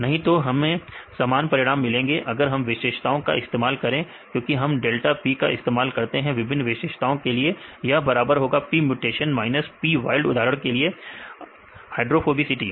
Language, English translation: Hindi, Otherwise we will have same results, if you use the properties right because we use the delta P for the different property, this is equal to P mutation minus P wild for example, hydrophobicity right difference values